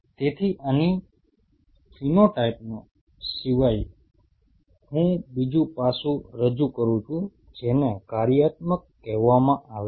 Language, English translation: Gujarati, So, here apart from the phenotype I introduce another aspect which is called functional